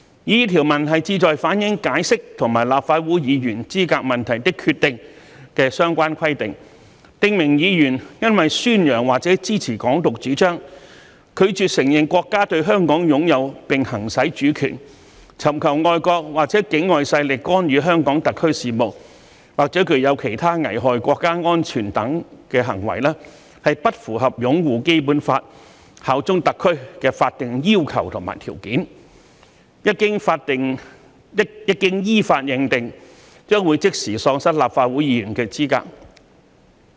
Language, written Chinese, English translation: Cantonese, 擬議條文旨在反映《解釋》和《立法會議員資格問題的決定》的相關規定，訂明議員若因宣揚或者支持"港獨"主張、拒絕承認國家對香港擁有並行使主權、尋求外國或境外勢力干預香港特區事務，或具有其他危害國家安全等行為，而不符合"擁護《基本法》、效忠特區"的法定要求和條件，一經依法認定，將即時喪失立法會議員的資格。, The proposed clauses seek to reflect the related requirements as stipulated in the Interpretation and the Decision on Members Qualification which stipulate that a Member of the Legislative Council does not fulfil the legal requirements and conditions on upholding the Basic Law and bearing allegiance to HKSAR if the Member advocates or supports Hong Kong independence refuses to recognize the nations sovereignty over Hong Kong and the exercise of the sovereignty solicits intervention by foreign or external forces in HKSARs affairs or carries out other activities endangering national security . When the Member is so decided in accordance with law he or she is immediately disqualified from being a Legislative Council Member